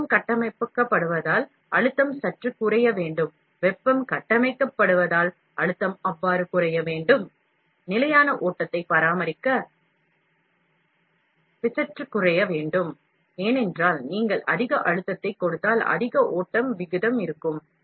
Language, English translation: Tamil, As the heat built up, the pressure should drop slightly, as the heat is built up, the pressure should drop so, P should drop slightly to maintain the constant flow, because if you give more pressure, more flow rate will be there